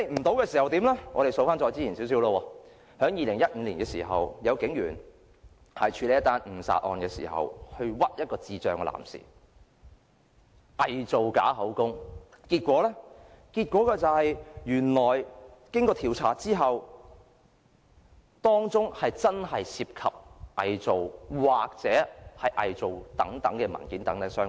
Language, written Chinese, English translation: Cantonese, 我們細數較早前的事，在2015年時，有警員在處理一宗誤殺案時，冤枉一名智障男士，偽造口供，結果經調查後，原來當中真的涉及偽造文件。, Let us look at some earlier incidents . In 2015 a policeman wrongly accused a man with intellectual disabilities by forging the statement when handling a manslaughter case . After investigation forgery was found involved in the case